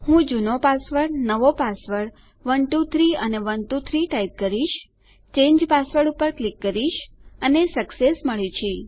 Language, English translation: Gujarati, Ill just type in my old password, my new passwords 123 and 123, click change password, and weve got success